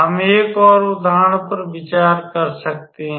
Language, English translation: Hindi, We can consider an another example